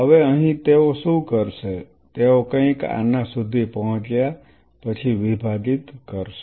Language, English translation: Gujarati, Now out here what they will do they will divide after reaching something like this